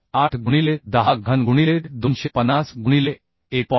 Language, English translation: Marathi, 8 into 10 cube into 250 by 1